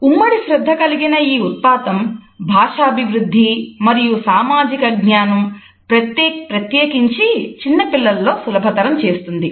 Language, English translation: Telugu, This phenomenon of joint attention facilitates development of language as well as social cognition particularly in young children